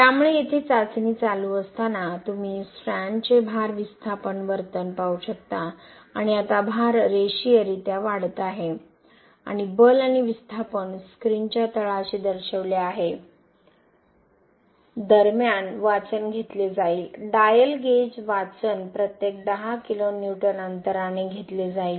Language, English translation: Marathi, So while test is running here you can see the load displacement behaviour of the strand and now you can see the load is linearly increasing and the force and the displacement are shown at the bottom of the screen, meanwhile reading will be taken, dial gauge reading will be taken at every 10 kilo Newton interval